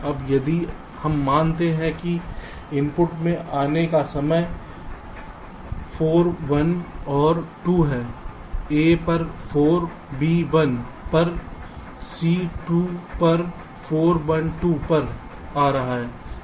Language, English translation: Hindi, now, if we assume that the input arrival time of the inputs are four, one and two, a is coming at four, b at one, c at two, four, one, two